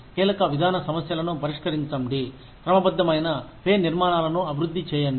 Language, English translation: Telugu, Address key policy issues, develop systematic pay structures